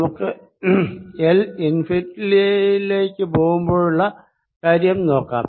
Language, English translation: Malayalam, let's take the limit l going to infinity